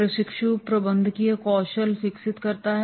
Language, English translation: Hindi, Trainee develops a managerial skills